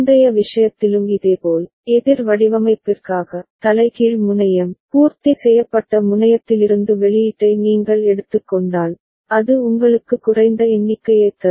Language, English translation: Tamil, And similarly in the previous case also, for up counter design, if you take the output from the inverted terminal, complemented terminal, it will be giving you a down count